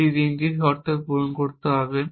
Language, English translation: Bengali, It must satisfy three conditions